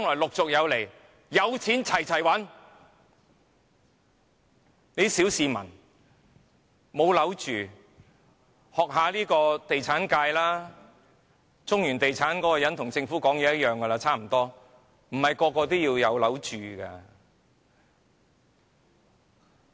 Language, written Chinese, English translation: Cantonese, 沒有屋住的小市民，應該向地產界學習，中原地產那個人的說法跟政府差不多，他說不是人人也要有屋住的。, Ordinary people without a dwelling place should learn from the real estate sector . The man from Centaline Property said that not everyone has to have a dwelling place which is similar to the Governments claim